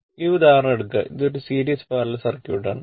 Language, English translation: Malayalam, Suppose take this example that is one series parallel circuit